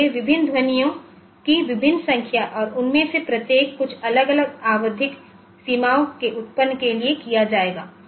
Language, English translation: Hindi, So, for different I may have a number of sound as different number of different sounds to be produced and each of them will occur at some different periodic boundaries ok